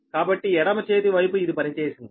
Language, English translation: Telugu, so left hand side, this, this has been worked out right